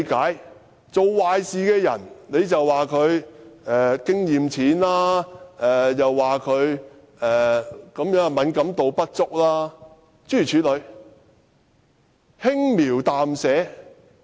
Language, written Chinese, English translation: Cantonese, 她說做壞事的那人經驗淺，敏感度不足，諸如此類，說得輕描淡寫。, She wanted to dismiss the whole thing casually by saying that the culprit was inexperienced and not sensitive enough and so on and so forth